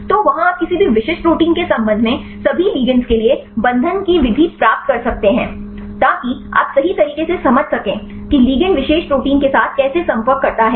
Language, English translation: Hindi, So, there you can get the mode of binding for all the ligands with respect to any specific protein, so that you can understand right how the ligands interact with the particular protein